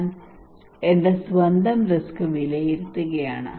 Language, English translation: Malayalam, I am evaluating my own risk